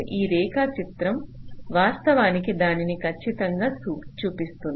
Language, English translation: Telugu, so this diagram actually shows that exactly